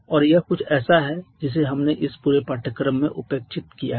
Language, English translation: Hindi, And that is something that we have neglected throughout this course